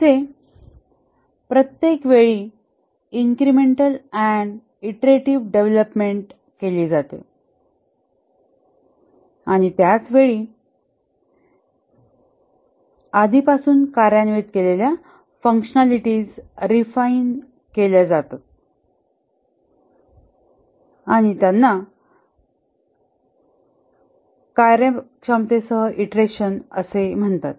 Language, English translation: Marathi, Incremental and iterative development here, each time new increments of functionalities are implemented and at the same time the functionalities that were already implemented, they are refined and that is called as iteration with those functionalities